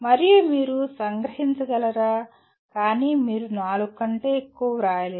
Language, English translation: Telugu, And whether you can capture but you cannot write more than four